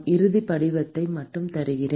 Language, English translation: Tamil, I will just give you the final form